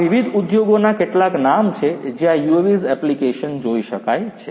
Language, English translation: Gujarati, These are some of the names of different industries where UAVs find applications